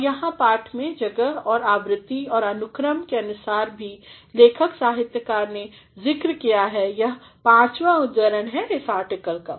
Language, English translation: Hindi, And, here in text depending upon the space and the frequency as well as the order here the writer author has mentioned that it is the fifth quote in this article